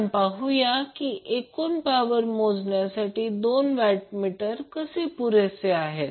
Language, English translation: Marathi, So we will also see that how two watt meter is sufficient to measure the total power